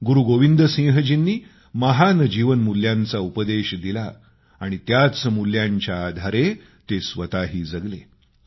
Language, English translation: Marathi, Guru Gobind Singh ji preached the virtues of sublime human values and at the same time, practiced them in his own life in letter & spirit